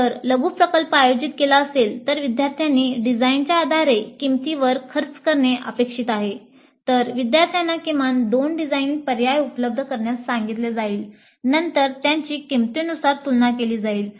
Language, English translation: Marathi, If the way the mini project is organized, students are expected to work out the cost based on the design, then the students may be asked to provide at least two design alternatives, then compare them based on the cost